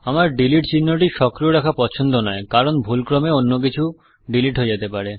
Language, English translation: Bengali, I do not like to leave delete symbol on, because I can accidentally delete something else